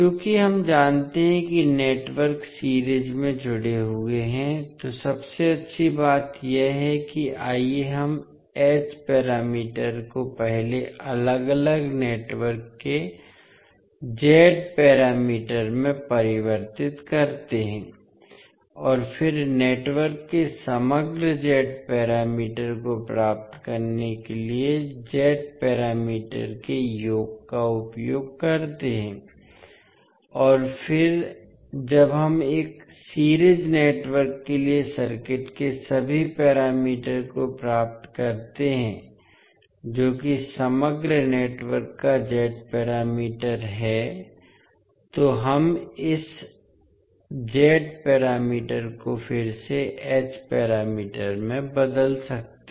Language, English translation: Hindi, Since we know that the networks are connected in series, the best thing is that let us first convert the H parameters into corresponding Z parameters of individual networks and then use the summation of the Z parameters to get the overall Z parameters of the network and then when we get all the parameters of the circuit for a series network that is the Z parameter of the overall network, we can convert this Z parameter again back into H parameter